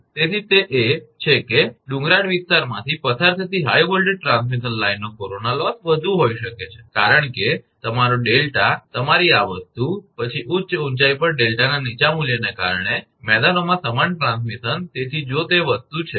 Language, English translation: Gujarati, So, that is corona loss of a high voltage transmission line passing through a hilly area may be higher because your delta your this thing, then that of similar transmission in plains due to the lower value of the delta at high altitude, so if that is the thing